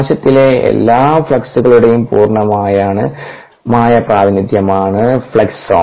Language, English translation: Malayalam, fluxome is the complete representation of all the fluxes in the cell, and so on